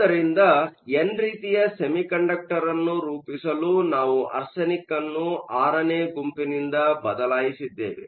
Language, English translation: Kannada, So to form n type, we are going to replace arsenic by group VI